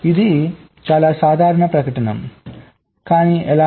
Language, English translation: Telugu, this is a very general statement